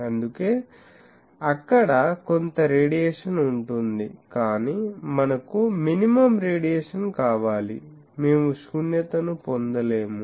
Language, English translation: Telugu, So, there will be some radiation, but we want minimum radiation, we cannot get a null